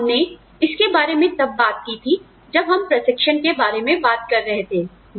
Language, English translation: Hindi, And, we talked about this, when we are talking about training